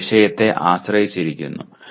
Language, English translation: Malayalam, It depends on the subject